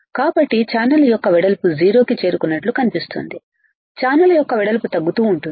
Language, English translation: Telugu, So, width of channel looks like is reach to 0, width of channel it goes on decreasing